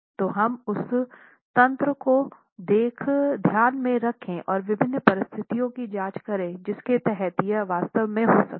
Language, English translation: Hindi, So let's keep that mechanism in mind and examine different situations under which this can actually happen